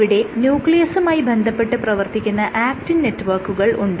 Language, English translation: Malayalam, So, what I have drawn here is the actin network which connects or which scaffolds the nucleus around it